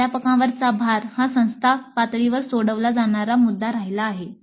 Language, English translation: Marathi, Load on the faculty remains an issue to be resolved at the institute level